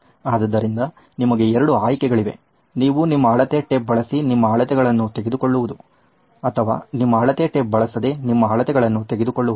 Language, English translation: Kannada, So you have 2 choices you can either use your measuring tape and take your measurements or don’t use your measuring tape and take your measurements